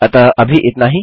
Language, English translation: Hindi, So thats it